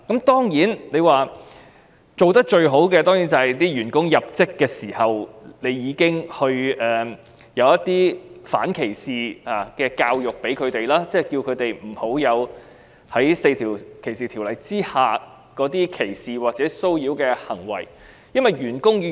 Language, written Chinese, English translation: Cantonese, 當然，最好是僱主在員工入職時已經提供反歧視的教育，提醒員工不要做出4項反歧視條例所訂的歧視或騷擾行為。, Of course it would be most desirable if the employer has provided his staff upon reporting duty with anti - discrimination education reminding them not to commit discriminatory or harassment acts under the four anti - discrimination ordinances